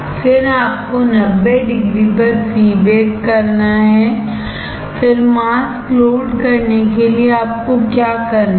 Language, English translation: Hindi, Then what you have to do pre bake at 90 degree, then what you have to do load the mask